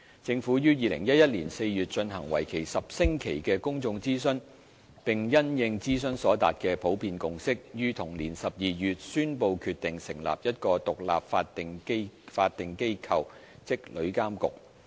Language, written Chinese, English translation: Cantonese, 政府於2011年4月進行為期10星期的公眾諮詢，並因應諮詢所達的普遍共識，於同年12月宣布決定成立一個獨立法定機構。, The Government launched a 10 - week public consultation exercise in April 2011 and in response to the general consensus reached after the consultation announced in December of the same year its decision to establish an independent statutory body that is TIA